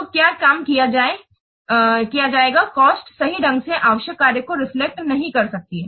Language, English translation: Hindi, So, what work will be performed, the cost may not accurately reflect the work required